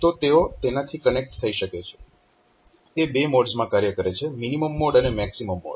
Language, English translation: Gujarati, So, they can be connected to that, it operates in 2 modes minimum mode and maximum mode